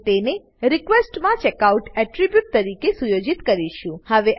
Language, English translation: Gujarati, And set it into request as checkout attribute